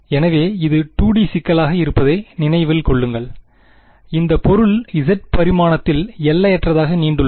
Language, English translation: Tamil, So, remember this being a 2D problem, this object extents infinitely in the z dimension